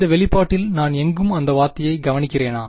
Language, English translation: Tamil, Do I observe that term anywhere over here in this expression